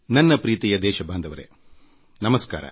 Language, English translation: Kannada, My dearest countrymen namaskar